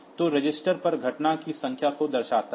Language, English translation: Hindi, So, shows the number of events on register